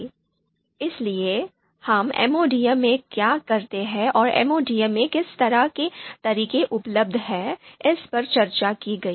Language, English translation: Hindi, So what we do in MODM and what constitutes you know the kind of methods that are available in MODM